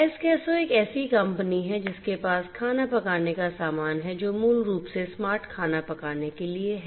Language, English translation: Hindi, Eskesso is a company that has the cooking sorcery the product which is basically for smart cooking